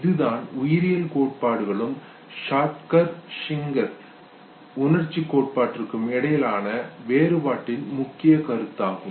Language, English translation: Tamil, So this is a major point of distinction between the biological theories and this very specific theory, Schacter Singer theory of emotion